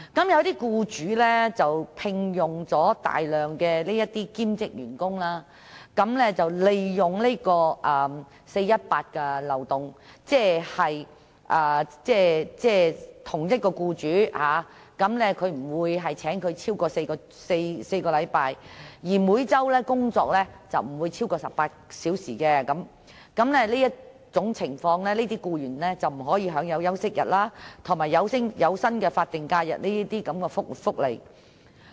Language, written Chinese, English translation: Cantonese, 一些僱主聘用大量兼職員工，利用 "4-18" 的漏洞，即不會聘用員工超過4星期，而員工每周工作亦不會超過18小時，在這種情況下，這些僱員便不能享有休息日及有薪法定假期等福利。, Some employers will hire a large number of part - time workers and exploit the 4 - 18 loophole . That means they will not hire workers for more than four weeks and such workers will not work for more than 18 hours a week . In this circumstance these employees will not be entitled to welfare benefits such as rest days and paid statutory holidays